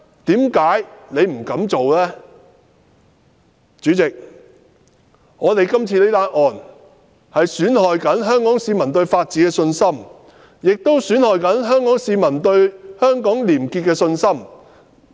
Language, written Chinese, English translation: Cantonese, 代理主席，今次這宗案件正在損害香港市民對法治的信心，也正在損害香港市民對香港廉潔情況的信心。, Deputy President this very case is undermining Hong Kong peoples confidence in the rule of law and dampening their confidence in Hong Kongs probity situation